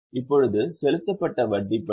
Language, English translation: Tamil, Now about interest paid